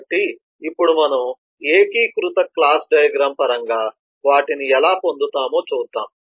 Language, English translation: Telugu, so now we will see how we got those in terms of a consolidated class diagram